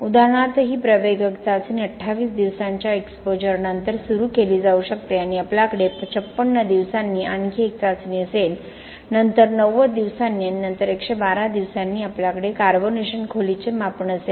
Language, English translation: Marathi, For example, this accelerated test can be started after 28 days of exposure and we will have one more test at 56 days, then 90 days and then 112 days we will have carbonation depth measurements